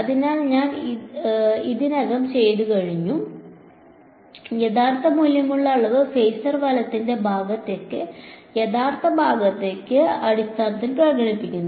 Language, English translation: Malayalam, So, we have already done this the real valued quantity is expressed in terms of the real part of the phasor right